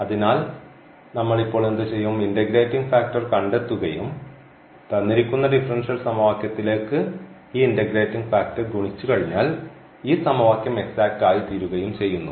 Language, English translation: Malayalam, So, what we will do now, we will find the integrating factor and once we multiply this integrating factor to the given differential equation then this equation will become exact and then we know how to solve the exact differential equation